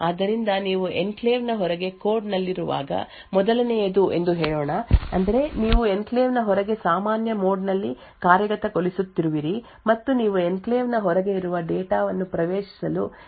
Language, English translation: Kannada, So this leaves us four different alternatives so let us say the first is when you are in the code outside the enclave that is you are executing in normal mode outside the enclave and you are trying to access the data present outside the enclave, so this should be permitted